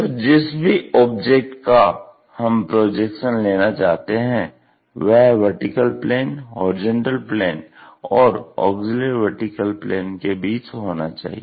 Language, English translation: Hindi, So, the any object whatever the projection we would like to really consider that has to be in between vertical plane, horizontal plane and auxiliary plane or auxiliary vertical plane